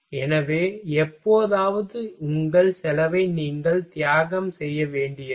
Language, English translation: Tamil, So, sometime you will have to sacrifice your cost ok